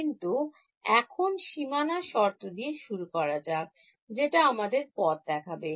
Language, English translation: Bengali, But now let us start with the boundary condition that is what is going to guide us